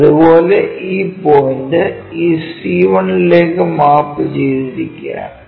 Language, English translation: Malayalam, Similarly, this point all the way mapped to this C 1